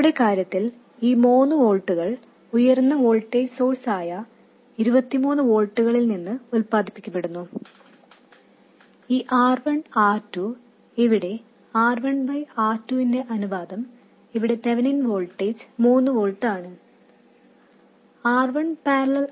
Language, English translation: Malayalam, Now the 3 volt itself is produced from a higher voltage source, 23 volts in our case and R1, R2, where the ratio R1 by R2 is such that the Theminine voltage here is 3 volts